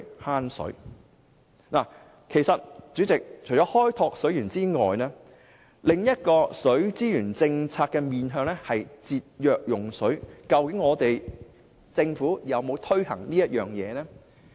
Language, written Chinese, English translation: Cantonese, 代理主席，其實除了開拓水源外，另一項水資源政策的面向是節約用水，政府去年有否推行這政策呢？, Deputy President besides exploring more water resources the other objective of the policy on water resources management is to save water . Did the Government implement this policy last year?